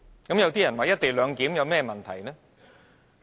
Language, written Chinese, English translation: Cantonese, 有人會問"一地兩檢"有甚麼問題呢？, Some people will ask What is wrong with the co - location arrangement?